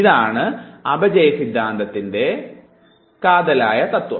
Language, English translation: Malayalam, This is what is called as Theory of Decay